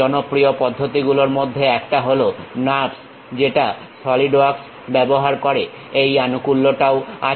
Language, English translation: Bengali, One of the popular method what Solidworks is using NURBS, this support is available